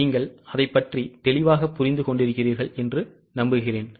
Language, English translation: Tamil, I hope you are clear about it